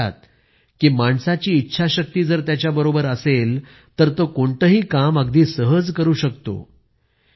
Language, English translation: Marathi, He says that if anyone has will power, one can achieve anything with ease